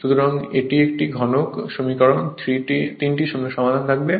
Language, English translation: Bengali, So, it is a cubic equation you will have 3 solutions